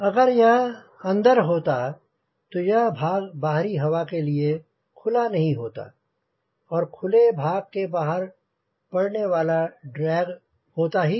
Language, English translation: Hindi, if it was inside, then this portion will not get exposed to the air, so we will not get drag because of this exposed portion